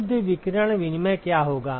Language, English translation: Hindi, What will be the net radiation exchange